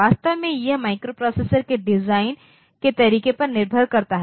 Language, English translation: Hindi, In fact, that depends on the way the microprocessor has been designed